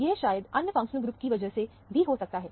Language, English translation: Hindi, It maybe because of the other functional group